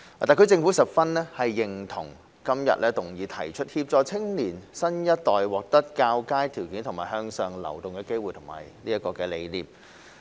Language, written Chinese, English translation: Cantonese, 特區政府十分認同今日議案提出協助青年新一代獲得較佳條件及向上流動機會的理念。, The SAR Government fully agrees with the idea of providing the new generation with better conditions and opportunities for upward mobility as proposed in todays motion